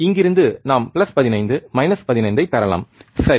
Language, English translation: Tamil, From here we can get plus 15 minus 15, alright